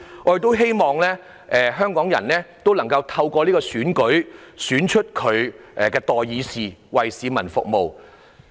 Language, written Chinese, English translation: Cantonese, 我亦希望香港人能夠透過這次選舉，選出他們的代議士，為市民服務。, I also hope that Hong Kong people will be able to elect representatives to serve them in this Election